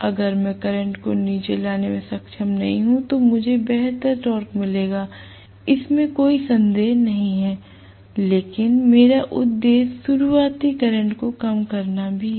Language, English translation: Hindi, The same thing if I am not able to bring down the current I would have gotten better torque, no doubt, but my soul purposes to bring down starting current as well